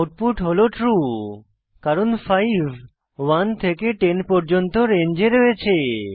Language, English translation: Bengali, We get the output as true since 5 lies in the range 1 to 10